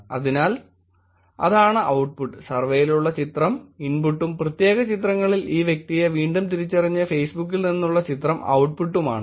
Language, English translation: Malayalam, So, that is the output so to say, the input is the picture with the survey and output is the image from Facebook which is re identified this person in particular pictures